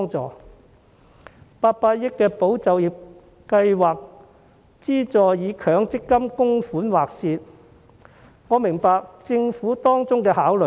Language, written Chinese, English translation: Cantonese, 政府的800億元保就業計劃資助以強制性公積金供款劃線，我明白政府當中的考慮。, I understand the Governments considerations in deciding that only those making Mandatory Provident Fund MPF contributions will be eligible for the 80 billion Employment Support Scheme